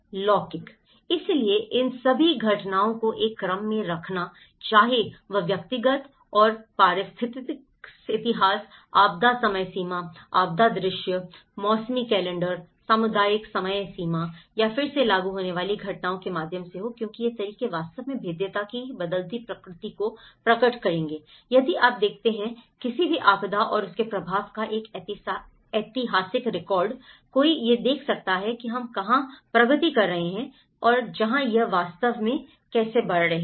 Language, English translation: Hindi, The temporal; so putting all these events in a sequence, whether it is through personal and ecological histories, disaster timelines, disaster visualization, seasonal calendars, community timelines or re enacting events because these methods will actually reveal the changing nature of vulnerability, if you look at a historical record of any disaster and its impact, one can see where we are progressing, where how it is actually heading to